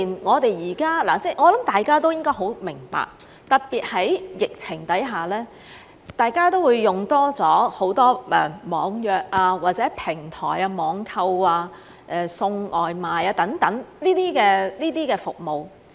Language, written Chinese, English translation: Cantonese, 我想大家都應該很明白，特別在疫情下，大家都會多用了網約或平台網購、送外賣等服務。, I believe we all understand that people will use more online booking or online shopping and takeaway delivery services especially during the epidemic